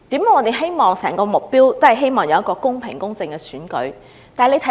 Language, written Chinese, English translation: Cantonese, 為何我們都希望有公平公正的選舉？, Why do we all want a fair and just election?